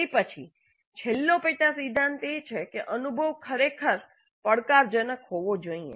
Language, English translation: Gujarati, Then the last sub principle is that the experience must really be challenging